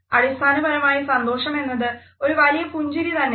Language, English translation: Malayalam, So, basically happiness is just a big old smile